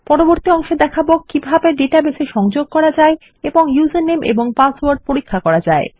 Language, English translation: Bengali, In the next one I will show how to connect to our database and check for the user name and password